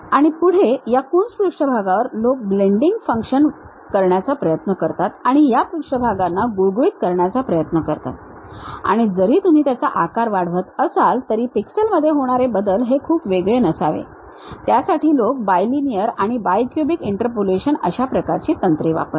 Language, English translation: Marathi, And further on these Coons surfaces, people try to use a blending, try to smoothen these surfaces and even if you are zooming that pixel variation should not really vary, that kind of techniques what people use, for that they use bilinear and bi cubic kind of interpolations also